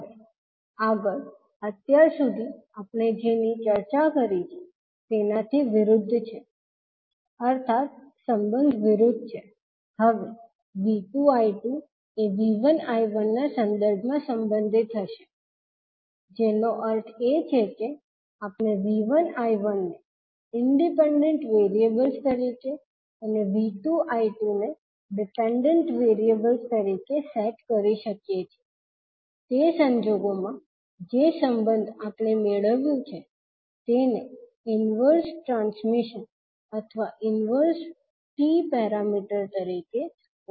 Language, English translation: Gujarati, Now, next is the opposite of what we discussed till now means the relationship will now be V 2 and I 2 will be related with respect to V 1 and I 1 that means we can also set V 1 I 1 as independent variables and V 2 I 2 as dependent variables, in that case the relationship which we get is called as a inverse transmission or inverse T parameters